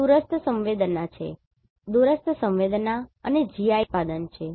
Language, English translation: Gujarati, This is a product from remote sensing and GIS